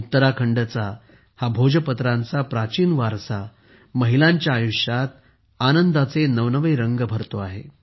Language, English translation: Marathi, This ancient heritage of Bhojpatra is filling new hues of happiness in the lives of the women of Uttarakhand